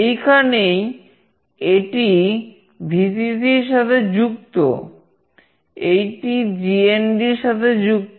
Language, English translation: Bengali, This is where it is connected to Vcc, this is connected to GND